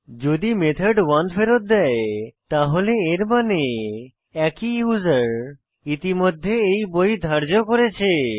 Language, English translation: Bengali, So, If the method returns 1 then it means the same user has already borrowed this book